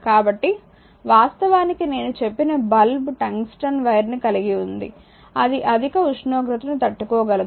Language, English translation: Telugu, So, and the lamp actually I told you it contains tungsten wire it can withstand high temperature